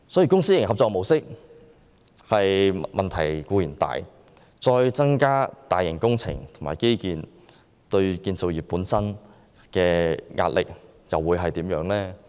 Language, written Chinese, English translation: Cantonese, 公私營合作模式本身已有很大問題，若再進行更多大型工程和基建項目，對建造業會構成多大壓力？, As there are already many problems related to the public - private partnership approach if more large - scale infrastructure projects are to be implemented will enormous pressure be exerted on the construction industry?